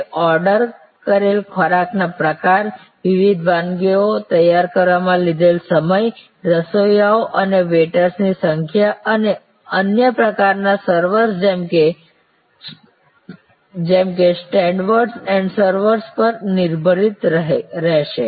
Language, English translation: Gujarati, It will be also depended on the kind of food ordered, the time it takes to prepare the different dishes, the availability of the number of chefs, the availability of the number of waiters and other types of servers, like stewards and servers